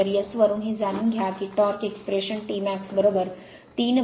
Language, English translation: Marathi, So, from S and you know that torque expression T max is equal to 3 upon omega S 0